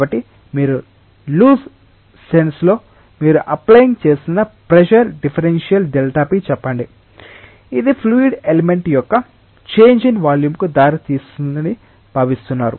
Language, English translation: Telugu, So, in a loose sense if you are applying say a pressure differential delta p that is expected to give rise to a change in volume of a fluid element